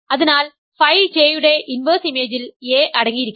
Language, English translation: Malayalam, So, inverse image of phi J must contain a